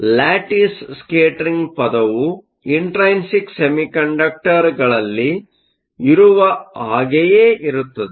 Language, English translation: Kannada, The lattice scattering term is very similar to what we did for intrinsic semiconductors